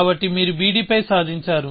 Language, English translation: Telugu, So, you have achieved on b d